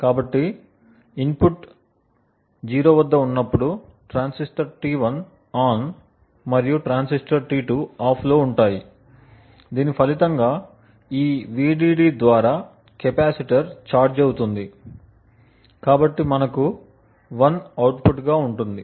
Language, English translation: Telugu, So, when the input is at 0, the transistor T1 is ON and transistor T2 is OFF and as a result the capacitor gets charged through this Vdd thus we have the output which is 1